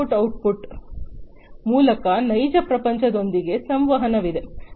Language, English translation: Kannada, Through this input output, there is interaction with the real world, right